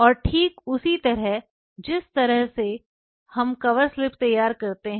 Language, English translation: Hindi, And exactly the way we prepare the cover slips